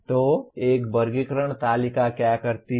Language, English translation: Hindi, So what does a taxonomy table do